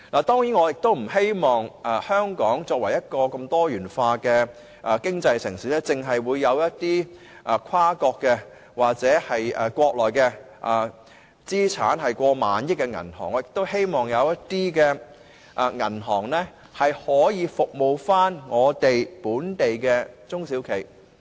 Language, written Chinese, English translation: Cantonese, 當然，香港作為一個多元化經濟的城市，我們不希望看到只有跨國或國內資產過萬億元的銀行在此經營，我們亦希望有其他銀行能服務本地的中小企。, Hong Kong is a city with a diversified economy . We do not wish to see that only multinational banks or Mainland banks with assets exceeding RMB1 trillion can operate here . We wish to see there are banks providing services to local small and medium enterprises SMEs